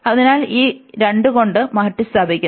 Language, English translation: Malayalam, So, this is replaced by 2